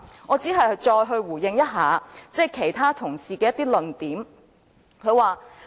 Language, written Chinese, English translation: Cantonese, 我只想再回應其他同事的一些論點。, I only wish to give a further response to the points made by other colleagues